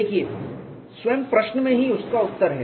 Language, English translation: Hindi, See the answer is there in the question itself